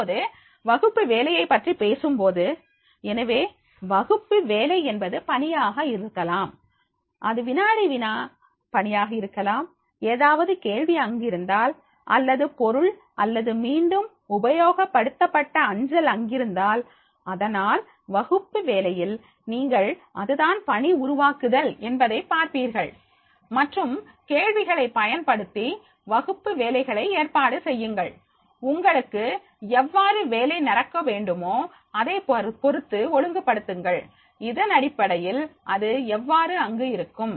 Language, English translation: Tamil, ) Now, here when you are talking about the classwork, so classwork can be the assignment, it can be the quiz assignment, it can be the, if any question is there or material or the reuse post is there, so therefore on this classwork you will find that is the creator assignments and questions, use topics to organise the classwork and order work the way you want to go, so on basis of this you can, so how it will be there